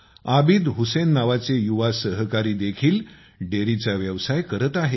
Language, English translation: Marathi, Another youth Abid Hussain is also doing dairy farming